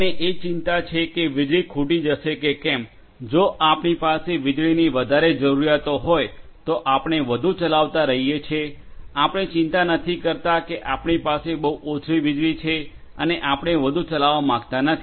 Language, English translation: Gujarati, We are least bothered about whether the electricity is going to get over, if we have more requirements of electricity we keep on running more we do not bothered that I have very little amount of electricity and I do not you know I do not want to run more